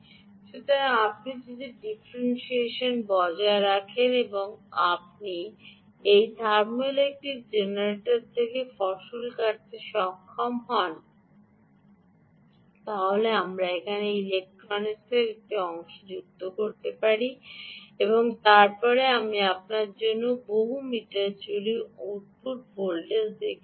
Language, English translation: Bengali, so if you maintain the differential delta t, you should be able to harvest from this thermoelectric generator, to which i have connected a piece of electronics here, and then i have shown you the output voltage across the multi meter